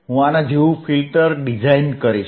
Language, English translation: Gujarati, I will design a filter like this